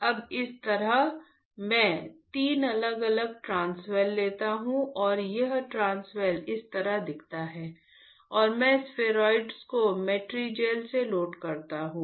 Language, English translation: Hindi, Now, similarly I take 3 different transwells; 3 different transwells and there is this transwell looks like this and I load the spheroids with Matrigel